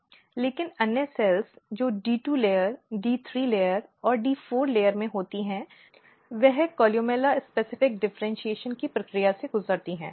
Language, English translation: Hindi, But other cells which are in D 2 layer, D 3 layer and D 4 layer, they have undergone the process of differentiation; columella specific differentiation